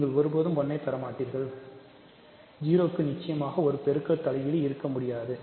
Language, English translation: Tamil, You will never get 1 so, 0 certainly cannot have a multiplicative inverse